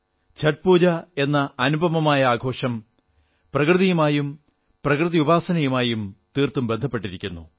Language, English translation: Malayalam, The unique festival Chhath Pooja is deeply linked with nature & worshiping nature